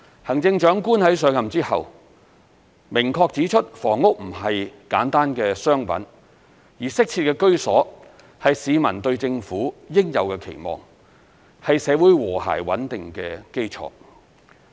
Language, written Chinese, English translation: Cantonese, 行政長官在上任後明確指出房屋並不是簡單的商品，而適切的居所是市民對政府應有的期望，是社會和諧穩定的基礎。, After taking office the Chief Executive has clearly pointed out that housing is not simply a commodity and that our community has a rightful expectation of the Government to provide adequate housing . This is also fundamental to social harmony and stability